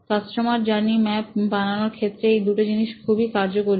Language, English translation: Bengali, These are the six steps of detailing out a customer journey map